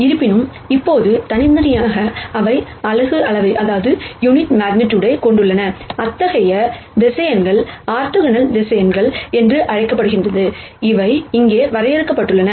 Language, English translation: Tamil, However now individually, they also have unit magnitude such vectors are called are orthonormal vectors, that we have defined here